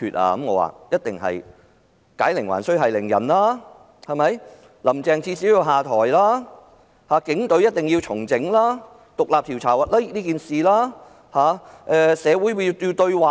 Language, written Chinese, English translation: Cantonese, 我的答覆是："解鈴還須繫鈴人，至少'林鄭'要下台，警隊一定要重整，就事件進行獨立調查，以及進行社會對話"。, My answer is whoever started the trouble should end it; at least Carrie LAM has to step down the Police Force have to be revamped an independent inquiry into the incident carried out and social dialogue strengthened